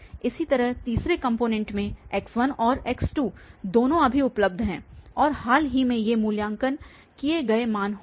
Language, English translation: Hindi, Similarly, in the third component x1 and x2 both are available now and we will be those recently evaluated values